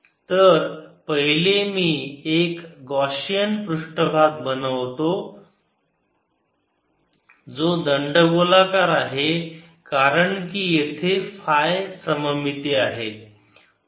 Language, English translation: Marathi, so first i will make a gaussian surface which is cylindrical because here is the phi symmetry